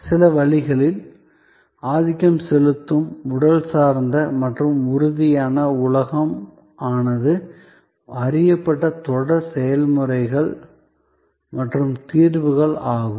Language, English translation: Tamil, In certain ways that dominantly physical and tangible world was a known series of processes and solutions